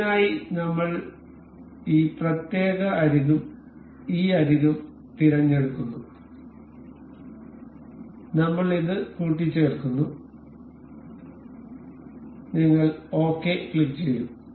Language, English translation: Malayalam, For this we I am selecting the this particular edge and this edge, I will mate it up, you will click ok